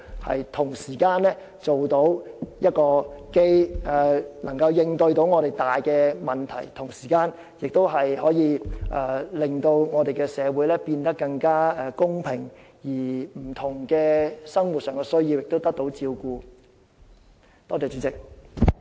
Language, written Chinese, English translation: Cantonese, 這樣既能應對我們所面對的重大問題，同時亦可使社會變得更加公平，讓市民的不同生活需要均可得到照顧。, Only by doing so can we tackle the major problems we are now facing and build a fairer society at the same time to take care of different daily needs of the people